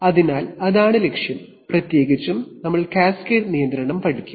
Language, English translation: Malayalam, So that is the objective, in particular we will study cascade control